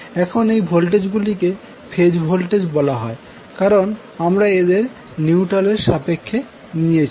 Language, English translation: Bengali, So, now, these voltages are called phase voltages because you have taken them with respect to neutral